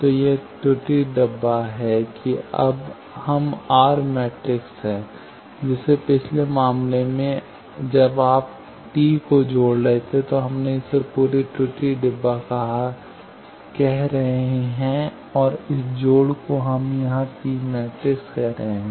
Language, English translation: Hindi, So, this error box is they will now we are R matrixes, like in the previous case this one when you are connecting T that we are calling this whole error box and this connection everything we are calling T matrix here in the reflect case this whole thing we are calling R matrix